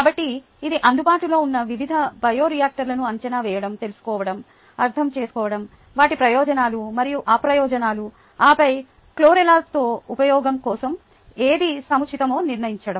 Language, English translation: Telugu, ok, so this calls for evaluating, knowing ah understanding ah the various bioreactors available, their advantages and disadvantages, then deciding what would be appropriate for use with chlorella